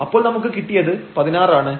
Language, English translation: Malayalam, So, we have the 16, which is positive